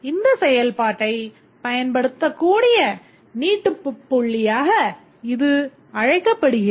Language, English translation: Tamil, So, this is called as the extension point at which this functionality can be invoked